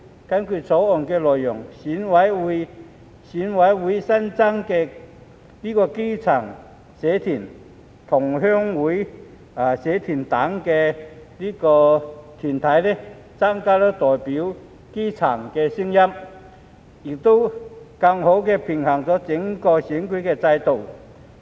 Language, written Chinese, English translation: Cantonese, 根據《條例草案》的內容，選委會新增基層社團、同鄉會社團等團體，增加代表基層的聲音，亦更好地平衡整個選舉制度。, According to the Bill associations such as grassroots associations and associations of Chinese fellow townsmen will be added to EC to increase the representation of the grass roots and to achieve a better balance in the electoral system as a whole